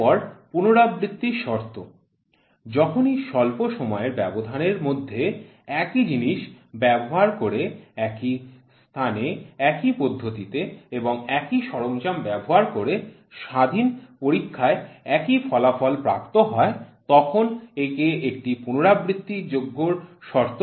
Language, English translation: Bengali, Next repeatability conditions, whenever independent test results are obtained using same methods, items, place, operations and equipment within short interval of time it is a repeatable condition